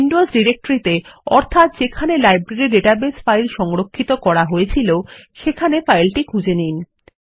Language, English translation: Bengali, We will browse the Windows directory where the Library database file is saved